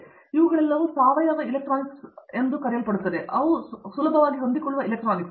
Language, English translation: Kannada, So, all these are coming up organic electronics is another area, where flexible electronics